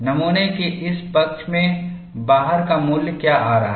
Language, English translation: Hindi, What is the value it is coming out on this side of the specimen